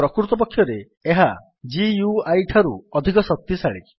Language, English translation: Odia, In fact it is more powerful than the GUI